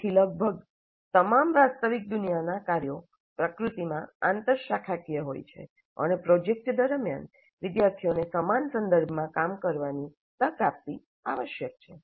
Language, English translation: Gujarati, So almost all real world work scenarios are interdisciplinary in nature and the project must provide the opportunity for students to work in a similar context